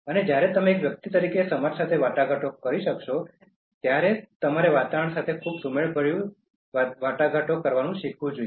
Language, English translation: Gujarati, And when you are able to negotiate with the society as an individual, you should also learn to negotiate in a very harmonious manner with the environment